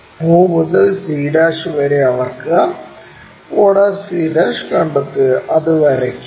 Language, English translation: Malayalam, Measure o to c', locate o' c', draw that